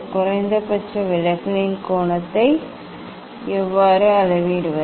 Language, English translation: Tamil, How to measure the angle of minimum deviation